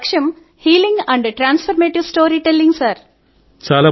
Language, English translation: Telugu, 'Healing and transformative storytelling' is my goal